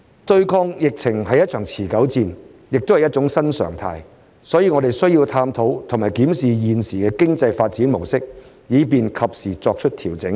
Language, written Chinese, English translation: Cantonese, 對抗疫情是一場持久戰，也是一種新常態，所以我們需要探討和檢視現時的經濟發展模式，以便及時作出調整。, As the fight against the epidemic is a protracted battle and also a new normal we need to explore and review the current mode of economic development so as to make timely adjustments